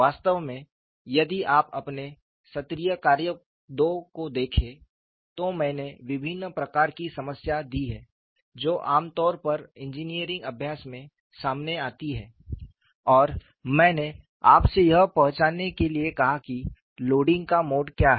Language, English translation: Hindi, In fact, if you look at your assignment two, I have given a variety of problems that are commonly encountered in engineering practice and I asked you to identify what is the mode of loading